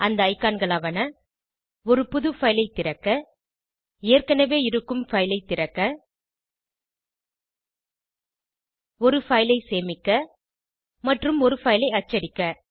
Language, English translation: Tamil, There are icons to open a New file, Open existing file, Save a file and Print a file